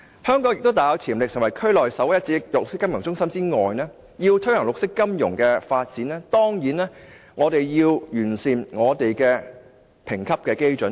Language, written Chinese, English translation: Cantonese, 香港雖大有潛力可成為區內首屈一指的綠色金融中心，但要推行綠色金融發展，當然亦必須完善本港的評級基準。, Although Hong Kong has great potentials in becoming a leading centre for green finance in the region it must still improve itself in respect of rating benchmarks if it is to promote the development of green finance